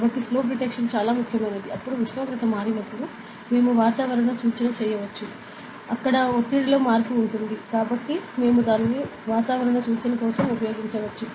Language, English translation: Telugu, So, slope detection everything, then we can do weather forecast ok so, when temperature changes there will be change in pressure, so we can use it for weather forecast ok